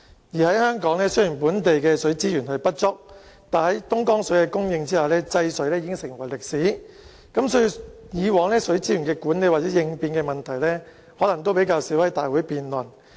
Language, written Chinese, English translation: Cantonese, 而在香港，雖然本地的水資源不足，但在東江水的供應下，制水已成為歷史，所以，以往水資源的管理或應變的問題可能較少在立法會會議上辯論。, In Hong Kong although we lack water resources water rationing has become history of the past for us after Dongjiang water has been supplied to Hong Kong . Hence the questions of water resources management or emergency response were seldom debated in the past